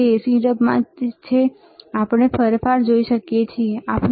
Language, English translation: Gujarati, It is in AC mode, we can we can see the change, right